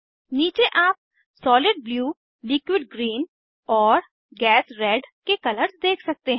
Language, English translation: Hindi, Below you can see colors of Solid Blue, Liquid Green and Gas Red